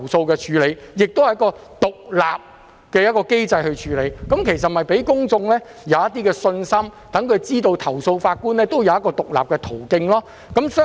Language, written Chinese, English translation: Cantonese, 這同樣是一個獨立機制，令公眾有信心，讓他們知道投訴法官有一個獨立途徑。, Similarly it is also an independent mechanism which gives the public confidence that there is an independent channel for complaints against judges